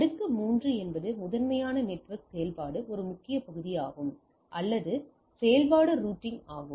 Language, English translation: Tamil, Layer 3 is a primarily that network activity one of the major part is or activity is routing